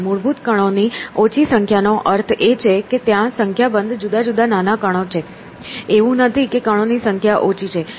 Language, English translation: Gujarati, So, whereas a small number of fundamental particles I mean there is a number of different particles are small; it is not that the number of particles is small